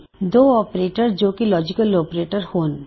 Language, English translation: Punjabi, Two operators that are logical operators